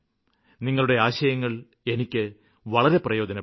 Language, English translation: Malayalam, Your opinions will really help me